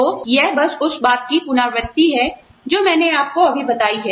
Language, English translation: Hindi, So, this is just a repetition of, what I told you, right now